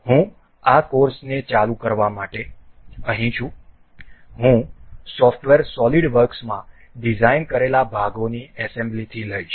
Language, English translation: Gujarati, I am here to resume this course, I will take on from the assembly of the parts we have designed in the software solidworks